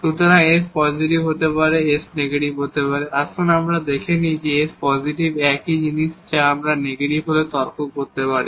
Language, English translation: Bengali, So, s may be positive, s may be negative, let us just assume that s is positive the same thing we can argue when s is negative